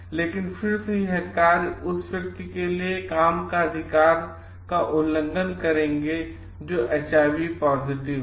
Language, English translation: Hindi, But again these actions will violating the right for work for the person who is HIV positive